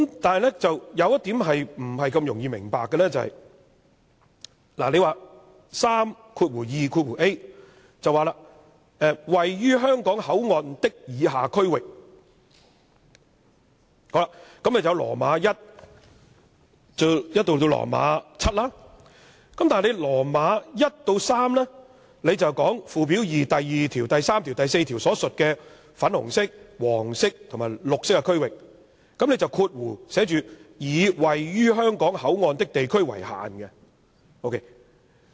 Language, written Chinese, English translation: Cantonese, 但是，有一點不大容易明白的是，第 32a 條說：位於香港口岸的以下區域有第 i 至節，但第 i 至節說附表2第2條、第3條、第4條所描述的粉紅色、黃色和綠色區域，並以括弧寫着"以位於香港口岸的地區為限"。, However the drafting of section 32a is just hard to understand . Section 32a stipulates that the closed area comprises the following zones in items i to vii which are located at the Hong Kong Port . Items i to iii says the zones are the pink zone the yellow zone and the green zone described in section 2 section 3 and section 4 of Schedule 2 respectively